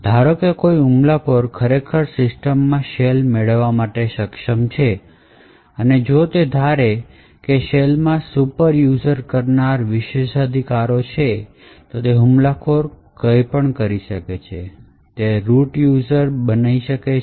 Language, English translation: Gujarati, Suppose an attacker actually is able to obtain a shell in a system and if he assume that the shell has superuser privileges then the attacker has super user privileges in that system and can do anything that root user can do